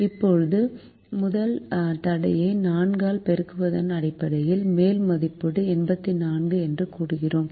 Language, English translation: Tamil, now, based on multiplying the first constraint by four, we have said that the upper estimate is eighty four